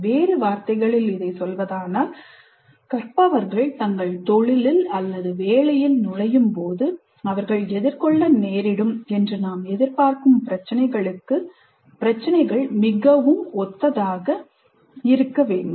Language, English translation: Tamil, In other words, the problems should look very similar to the kind of problems that we expect the learners to face when they actually enter their profession